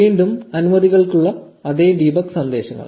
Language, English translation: Malayalam, Again, the same debug messages for the permissions